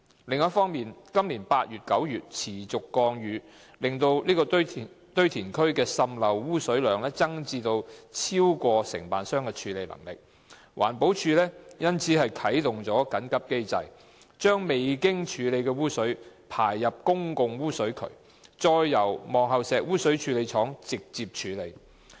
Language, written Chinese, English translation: Cantonese, 另一方面，今年8月及9月持續降雨令該堆填區滲濾污水量增至超過承辦商的處理能力，環保署因而啟動緊急機制，將未經處理的污水排入公共污水渠，再由望后石污水處理廠直接處理。, EPD had all along not made public the incident despite knowledge of it . On the other hand the prolonged rainfall in August and September this year resulted in the increase in the leachate arising from PPVRL to a level exceeding the handling capacity of the contractor causing EPD to activate the emergency mechanism under which untreated leachate was discharged into public sewers and then treated directly by the Pillar Point Sewage Treatment Works PPSTW